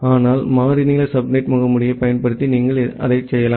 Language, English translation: Tamil, But, using variable length subnet mask, you can do that